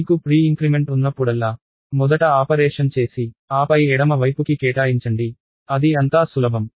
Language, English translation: Telugu, Whenever you have a pre increment, do the operation first and then assign to the left hand side so, it is as simple as that